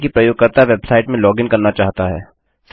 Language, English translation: Hindi, Say a user wants to login into a website